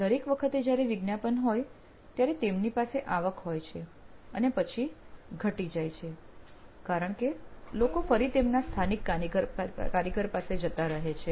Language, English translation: Gujarati, Every time a promotion runs, he has revenue and it just dwindles out because they go back to their local mechanic